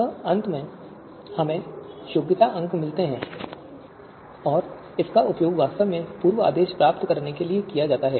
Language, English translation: Hindi, And finally, we get the qualification scores and that is actually used to you know derive you know to get the preorders